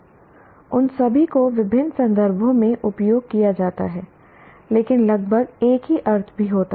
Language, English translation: Hindi, All of them are used in different contexts, but also approximately meaning the same thing